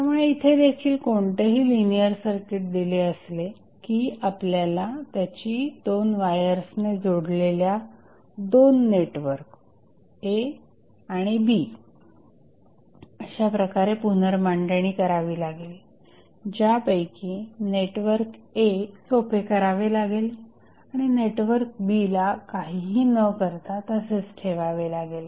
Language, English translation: Marathi, So, given any linear circuit, we rearrange it in the form of 2 networks A and B connected by 2 wires, network A is the network to be simplified and B will be left untouched